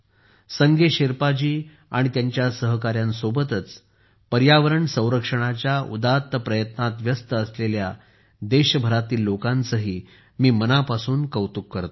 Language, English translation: Marathi, Along with Sange Sherpa ji and his colleagues, I also heartily appreciate the people engaged in the noble effort of environmental protection across the country